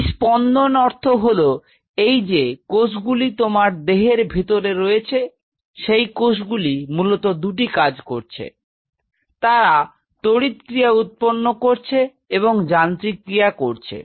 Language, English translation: Bengali, This beating means these cells what you are saying here in your body these cells are essentially they are performing two function; they are forming an electrical function and a mechanical function